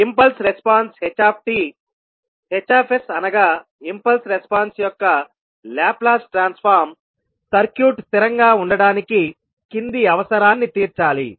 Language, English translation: Telugu, The impulse response ht, Hs that is the Laplace Transform of the impulse response ht, must meet the following requirement in order to circuit to be stable